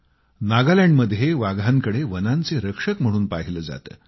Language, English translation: Marathi, In Nagaland as well, tigers are seen as the forest guardians